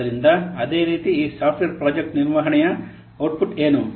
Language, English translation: Kannada, So similarly, what is the output of this software project management